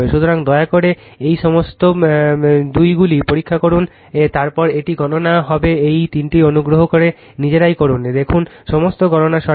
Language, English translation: Bengali, So, please check all these squares then by little bit it will be calculation all these three please do it of your own right, see that all calculations are correct